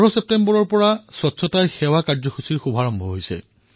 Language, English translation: Assamese, A movement "Swachhta Hi Sewa" was launched on the 15thof September